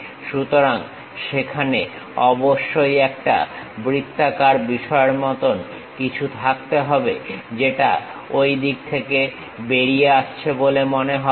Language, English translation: Bengali, So, there must be something like a circular thing, supposed to come out in that way